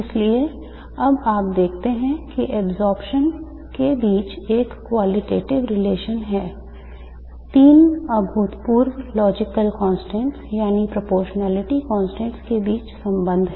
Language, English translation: Hindi, Therefore now you see that there is a quantitative relation between absorption relation between the three phenomenological constants, phenomena logical constants, that is the proportionality constants